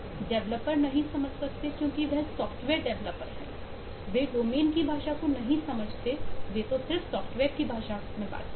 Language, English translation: Hindi, they dont understand the language of the domain, they talk in the language of their software